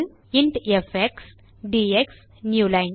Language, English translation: Tamil, int fx dx newline